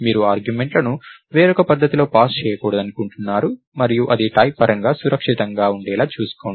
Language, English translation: Telugu, So, you don't want to have the arguments passed in a different manner and so on you ensure that it is type safe